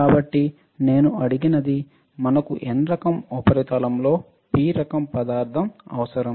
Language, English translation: Telugu, So, what I asked is we need P type material in N type substrate